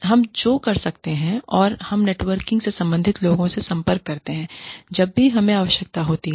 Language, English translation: Hindi, And, we contact the concerned people in the network, whenever we need to